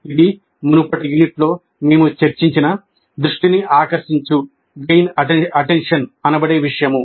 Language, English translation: Telugu, This is essentially the gain attention that we discussed in the earlier unit